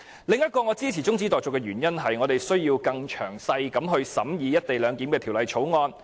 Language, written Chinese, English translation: Cantonese, 我支持中止待續的另一個原因，是我們需要更詳細審議《條例草案》。, Another reason why I support the adjournment motion is that we need to consider the Bill in greater detail